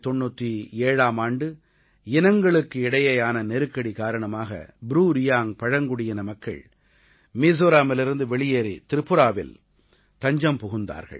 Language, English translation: Tamil, In 1997, ethnic tension forced the BruReang tribe to leave Mizoram and take refuge in Tripura